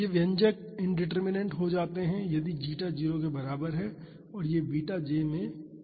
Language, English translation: Hindi, These expressions become indeterminant if zeta is equal to 0 and this in beta j becomes 1